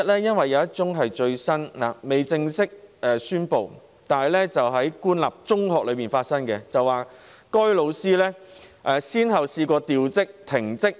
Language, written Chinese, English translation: Cantonese, 因為有一宗最新個案仍未正式公布，個案發生在官立中學，該名老師曾先後被調職、停職。, It is because the latest case has not been officially announced . This case took place in a government secondary school and the teacher concerned had had a change of post before being put on suspension